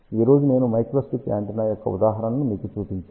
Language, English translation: Telugu, I did show you an example of a microstrip antenna today